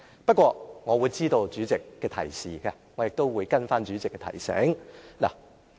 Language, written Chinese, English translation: Cantonese, 不過，我知道代理主席的提示，我亦會跟從代理主席的提醒。, Anyway I appreciate the Deputy Presidents reminder and I will follow her advice